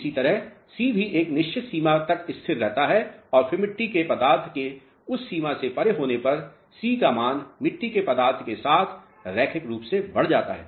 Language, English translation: Hindi, Similarly, c also remains constant up to a certain limit and then beyond that limit of clay content, the value of c increases linearly with clay content